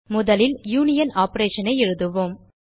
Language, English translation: Tamil, First let us write a union operation